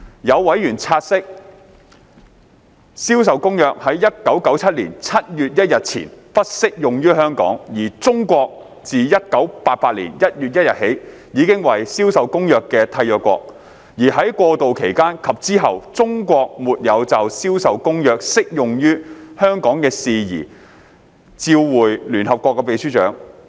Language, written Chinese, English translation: Cantonese, 有委員察悉，《銷售公約》在1997年7月1日前不適用於香港，而中國自1988年1月1日起已為《銷售公約》的締約國，而在過渡期間及之後，中國沒有就《銷售公約》適用於香港的事宜照會聯合國秘書長。, A member noted that CISG did not apply to Hong Kong prior to 1 July 1997 and China has become a party to CISG since 1 January 1988 and that during and after the transition period China had not informed the Secretary - General of the United Nations of the application of CISG to Hong Kong